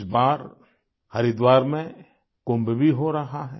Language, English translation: Hindi, This time, in Haridwar, KUMBH too is being held